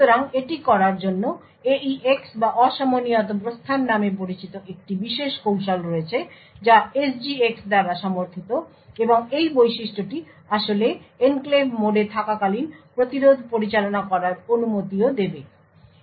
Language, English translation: Bengali, So, in order to do this there is a special technique known as the AEX or the Asynchronous Exit which is supported by SGX and this feature would actually permit interrupts to be handled when in enclave mode as well